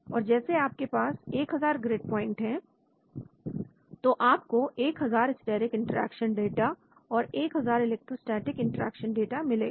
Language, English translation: Hindi, So suppose you have 1000 grid points you will get 1000 steric interaction data and then 1000 electrostatic interaction data